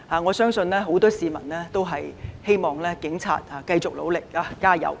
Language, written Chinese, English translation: Cantonese, 我相信很多市民也希望警察繼續努力加油。, I believe many citizens also hope that the Police will continue to endeavour and make efforts